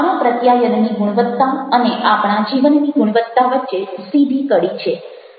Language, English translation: Gujarati, there is a direct link between the quality of our communication and the quality of our life